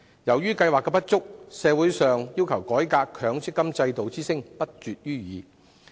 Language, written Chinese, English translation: Cantonese, 由於計劃存在不足，社會上要求改革之聲亦不絕於耳。, Given the inadequacies of the System there are incessant calls for reform in society